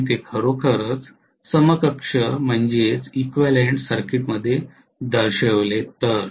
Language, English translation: Marathi, So if I actually show it in an equivalent circuit